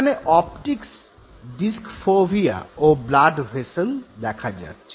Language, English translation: Bengali, Here you see the optic disc fovea and blood vessels